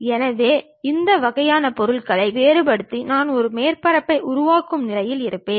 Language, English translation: Tamil, So, varying these kind of objects I will be in a position to construct a surface